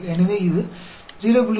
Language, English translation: Tamil, So, this is equal to 0